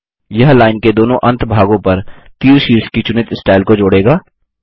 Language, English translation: Hindi, This will add the selected style of arrowheads to both ends of the line